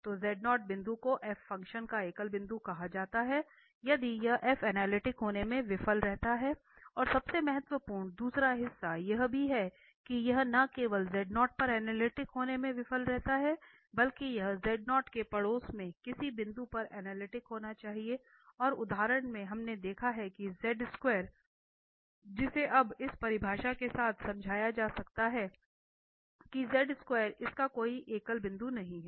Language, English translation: Hindi, So, a point z0 is called a singular point of a function f if this f fails to be analytic and most important is the second part also that it is not only just failing to be analytic at z naught, but it should be analytic at some point in every neighbourhood of z naught and the example we have seen this mod z square which can be explain now with the this definition that this mod z square has no singular point